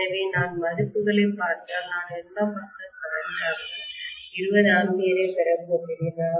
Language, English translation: Tamil, So if I look at the values I am going to have 20amperes as the secondary side current